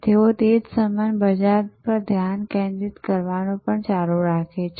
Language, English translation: Gujarati, They continue to be focused on that same market, the same market